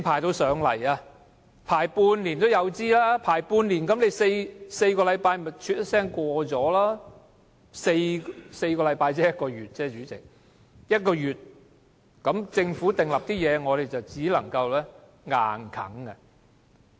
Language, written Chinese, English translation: Cantonese, 隨時要輪半年，但4個星期一轉眼就過去 ，4 個星期只是一個月而已，那麼，政府訂立的事項，我們只能被迫接受。, A wait for six months may be needed but the four - week scrutiny period which is merely a month will be elapsed in the wink of an eye . As such we are forced to accept whatever amendments proposed by the Government